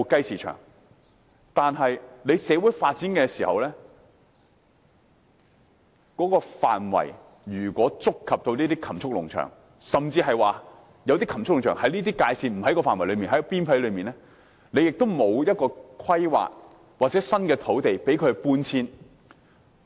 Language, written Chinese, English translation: Cantonese, 可是，在社會發展時，如果範圍觸及這些禽畜農場，又或當禽畜農場位於發展範圍邊界而不在範圍內，政府也沒有作出規劃或安排新土地讓他們搬遷。, However when social development touches on the areas of these livestock farms or when these livestock farms are located on the peripheral areas but not within the development area the Government will not plan or arrange new sites for their relocation